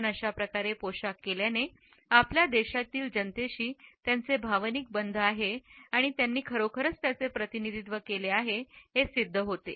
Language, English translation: Marathi, But the very fact that he was dressed in this manner suggested that he had an emotional attachment with the masses of our country and he truly represented them